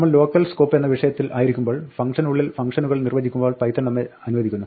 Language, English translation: Malayalam, While we are on the topic of local scope, Python allows us to define functions within functions